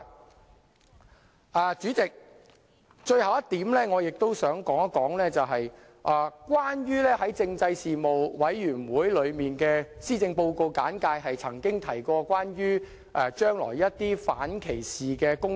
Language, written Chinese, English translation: Cantonese, 代理主席，最後一點，我想說說政府在政制事務委員會上所作的施政報告簡介中，曾提到將來會進行一些反歧視工作。, Deputy President I now come to the last point . I would like to talk about the anti - discrimination initiatives to be taken in future as explained in the briefing on the Policy Address made by the Government in the Panel on Constitutional Affairs